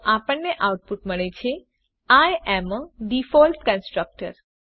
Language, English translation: Gujarati, So we get output as I am a default constructor